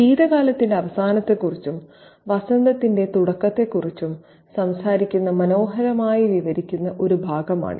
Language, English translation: Malayalam, This is a beautifully descriptive passage which talks about the end of winter and the onset of spring